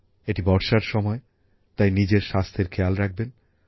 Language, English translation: Bengali, It is the seasons of rains, hence, take good care of your health